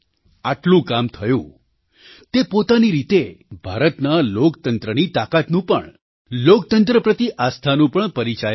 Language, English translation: Gujarati, So much accomplishment, in itself shows the strength of Indian democracy and the faith in democracy